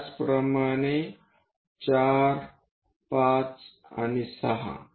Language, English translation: Marathi, Similarly, at 4, 5 and 6